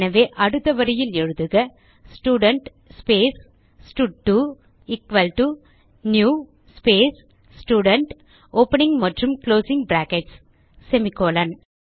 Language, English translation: Tamil, So type next lineStudent space stud2 equal to new space Student , opening and closing brackets semicolon